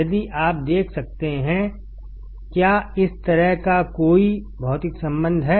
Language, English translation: Hindi, If you can see, is there any physical connection like this